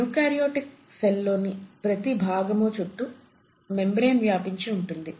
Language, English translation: Telugu, Now each of these sections in a eukaryotic cell is surrounded by the membraned itself